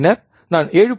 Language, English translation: Tamil, Then I can write 7